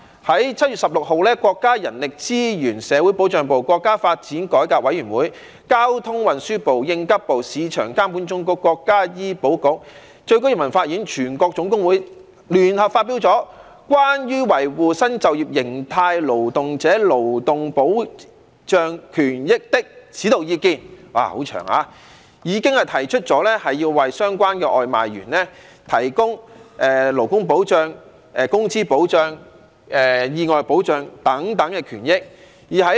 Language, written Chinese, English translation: Cantonese, 在7月16日，國家人力資源和社會保障部、國家發展和改革委員會、交通運輸部、應急管理部、市場監督管理總局、國家醫療保障局、最高人民法院及中華全國總工會聯合發表了《關於維護新就業形態勞動者勞動保障權益的指導意見》——很長——已經提出了要為相關的外賣員提供勞工保障、工資保障、意外保障等，保障其權益。, On 16 July the Ministry of Human Resources and Social Security the National Development and Reform Commission the Ministry of Transport the Ministry of Emergency Management the State Administration for Market Regulation the National Healthcare Security Administration The Supreme Peoples Court and the All - China Federation of Trade Unions jointly issued the Guiding Opinions on Protecting Labour and Social Security Rights and Interests of Workers Engaged in New Forms of Employment―such a long title―with the proposals that takeaway delivery workers must be provided with labour protection wage protection accident protection and so on as means to safeguard their rights and interests